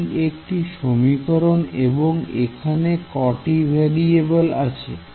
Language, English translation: Bengali, So, this is one equation and how many variables will appear over here